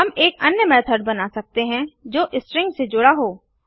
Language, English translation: Hindi, We can create one more method which append strings